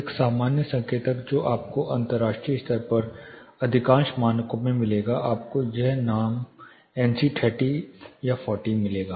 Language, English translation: Hindi, A common indicator that you would find in most of the standards internationally you will find this name NC 30, 40 this things will be given